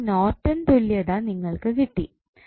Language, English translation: Malayalam, So, what Norton's equivalent you will get